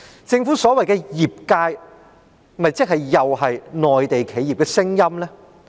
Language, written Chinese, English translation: Cantonese, 政府所謂的業界意見，是否又是內地企業的聲音呢？, I just wonder if what the Government referred to as the industrys view is just the opinion of the Mainland enterprises